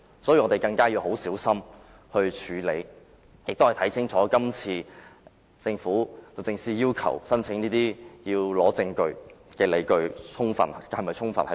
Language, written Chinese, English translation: Cantonese, 所以，我們要更小心處理，亦要看清楚律政司這次申請特別許可的理據是否充分。, So we must handle this application more carefully and ascertain the sufficiency of DoJs grounds for this special leave application